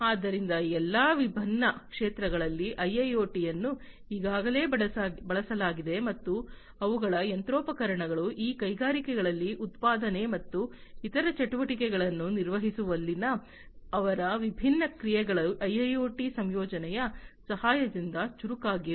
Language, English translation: Kannada, So, in all of these different sectors IIoT has been already used and their machinery, their different processes in manufacturing and carrying on different other activities in these industries these have been made smarter with the help of incorporation of IIoT